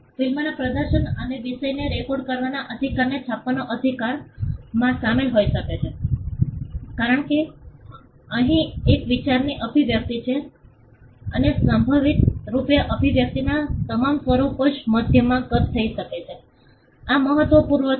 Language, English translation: Gujarati, The right may involve the right to print the right to publish the right to perform film or record the subject matter because, here is an expression of an idea and the all the forms of expression most likely which can be captured in a medium this is critical when you understand copyright